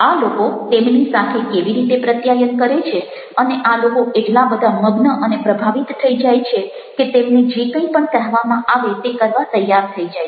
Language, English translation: Gujarati, its a significance of communication, how these people are communicating with them, and these people become so much involved, so much influenced, that they are ready to do whatever they are said